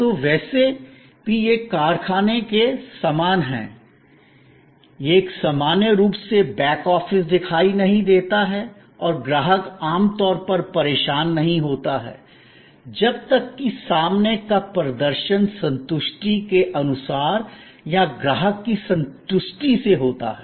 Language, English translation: Hindi, So, anyway it is quite similar to the factory and that back office normally is not visible and customer is usually not bothered, as long as the front performance goes according to satisfaction or beyond the customer satisfaction